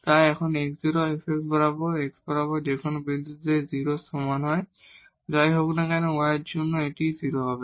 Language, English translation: Bengali, So, when x is 0 fx at whatever point along this x is equal to 0, for whatever y this will be 0